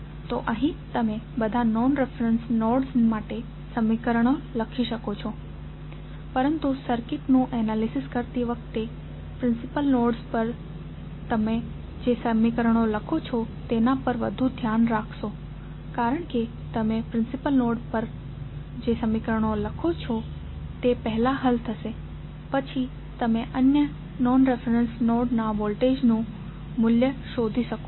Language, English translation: Gujarati, So, here you can write equations for all the non reference nodes but while analyzing the circuit you would be more concerned about the equations you write for principal nodes because the equations which you write for principal node would be solved first then you can find the value of other non reference nodes voltage value